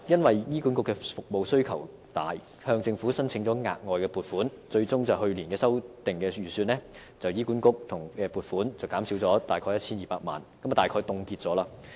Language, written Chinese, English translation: Cantonese, 由於服務需求大，醫管局向政府申請額外撥款，最終在去年的修訂預算中，政府對醫管局的撥款減少 1,200 萬元，即大概等於凍結開支。, Given the substantial demand for services HA sought additional funding from the Government and as a result in the revised estimate last year government funding for HA was cut by 12 million which was more or less equivalent to freezing the expenditure